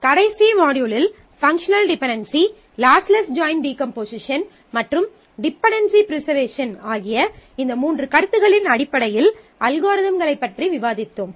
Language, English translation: Tamil, In the last module, we have discussed about algorithms for functional dependencies lossless joint decomposition and dependency preservation